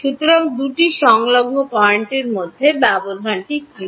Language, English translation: Bengali, So, what is the spacing between two adjacent points